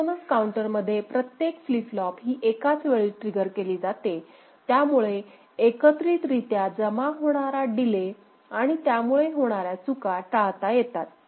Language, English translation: Marathi, In synchronous counter, every flip flop is triggered simultaneously which avoids the accumulation of delay and possible glitch